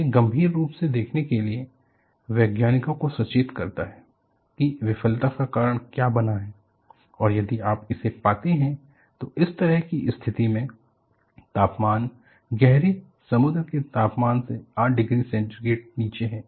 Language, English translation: Hindi, That is what alerted the scientists, to look at critically, what has caused the failure and if you find this, in this kind of situation, the temperature is 8 degree centigrade below the heavy sea temperature